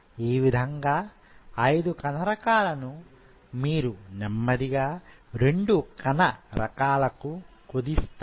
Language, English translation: Telugu, So now from 5 cell types now you are slowly narrowing down to 2 different cell types